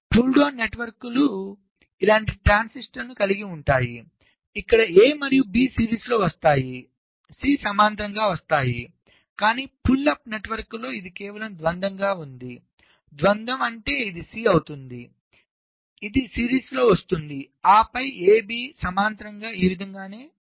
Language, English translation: Telugu, pull down networks will be having transistors like this, where a and b will be coming in series, c will be coming in parallel, but in the pull up networks it will be just the dual of this